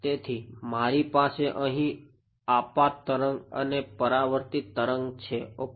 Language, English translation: Gujarati, So, I have an incident wave over here and a reflected wave over here ok